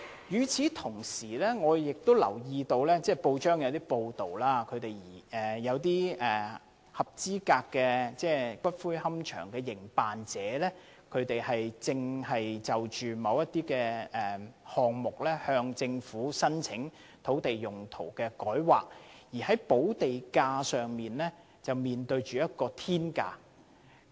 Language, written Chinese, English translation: Cantonese, 與此同時，我留意到有報章報道指，一些合資格龕場的營辦者正就着若干項目向政府申請改劃土地用途，但在商討補地價過程中卻面對着"天價"。, Meanwhile I note from some press reports that some qualified columbarium operators have applied to the Government for land use rezoning in respect of certain sites . But when negotiating the land premium to be paid the Government is demanding astronomical sums